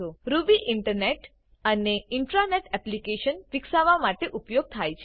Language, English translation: Gujarati, Ruby is used for developing Internet and Intra net applications